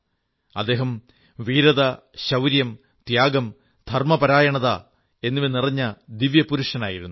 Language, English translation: Malayalam, He was a divine figure full of heroism, valor, courage, sacrifice and devotion